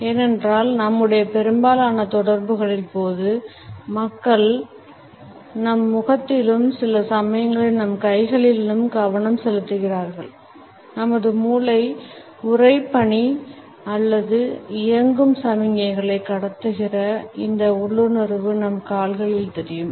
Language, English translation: Tamil, Partially it is there because during most of our interactions people tend to focus on our face and sometimes on our hands; our brain transmits a signals of freezing or running these instincts are visible in our legs